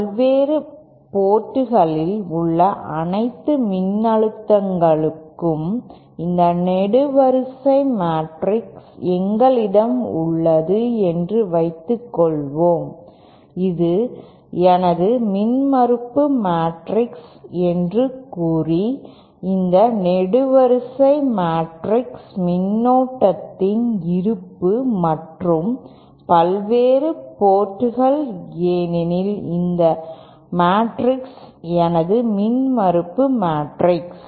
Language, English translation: Tamil, Suppose we have this column matrix for all the voltages at the various ports and say this is my impedance matrix and suppose this column matrix is the currents presents and the various ports then this matrix is my impedance matrix